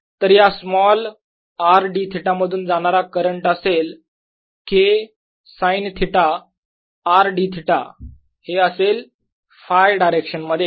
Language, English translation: Marathi, so the current through this small r d theta is going to be k sine theta times r d theta in the phi direction